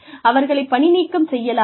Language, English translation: Tamil, The employee should be fired